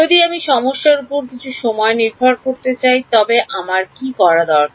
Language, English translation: Bengali, If I wanted to have some time dependence on the problem, what would I need to do